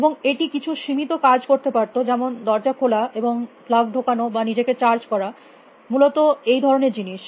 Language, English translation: Bengali, And do some limited things like a open dose and plug itself or getting charge then things like that essentially